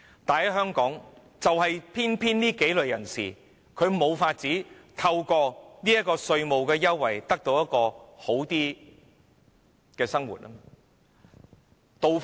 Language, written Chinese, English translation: Cantonese, 但是，在香港，我提及的幾類人士偏偏無法透過稅務優惠得到較好的生活。, But in Hong Kong the several kinds of people mentioned by me are just unable to have their lives improved through tax concessions